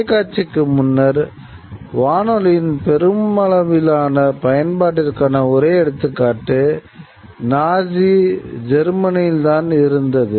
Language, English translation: Tamil, The only example before television, the only example of the mass use of the radio was in Nazi Germany, you know, where Hitler used communication mechanism